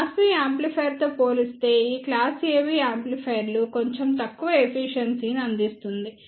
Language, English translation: Telugu, This class AB amplifiers provides slightly less efficiency as compared to class B amplifier